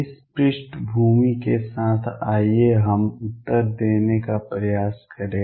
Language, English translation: Hindi, With this background let us now try to answer